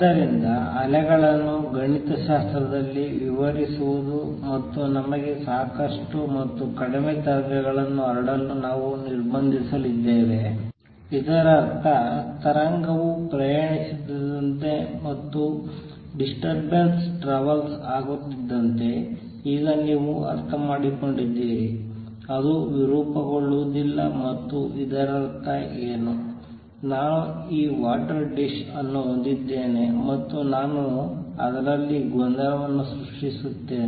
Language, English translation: Kannada, So, describing waves mathematically and we are going to restrict ourselves to dispersion less waves that is suffice for us and what; that means, as the wave travels and by that now you understand as the disturbance travels it does not get distorted and what; that means, is suppose I have this dish of water and I create a disturbance in at